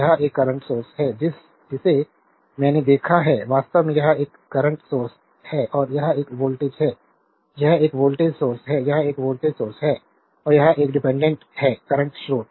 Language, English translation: Hindi, So, this is a current source and voltage across this is 16 volt this is a current source I have over looked actually it is a current source and this is a voltage this is a voltage source, this is a voltage source and this is a dependent current source